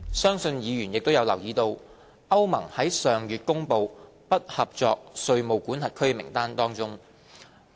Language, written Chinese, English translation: Cantonese, 相信議員亦有留意到，歐盟於上月公布"不合作稅務管轄區"名單。, I believe Members are aware that EU published a list of non - cooperative tax jurisdictions last month